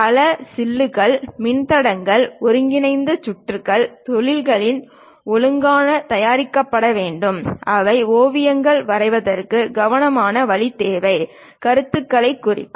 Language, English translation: Tamil, Many chips, resistors, integrated circuits have to be properly produced at industries that requires careful way of drawing sketches, representing ideas